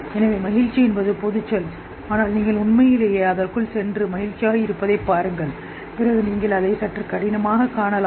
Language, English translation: Tamil, So a general term happy but if you really go into it and see what happy is then you may really find it a bit difficult